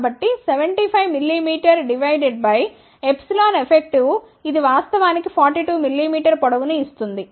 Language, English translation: Telugu, So, 75 mm is divided by this epsilon effective, which actually gives to the length of 42 mm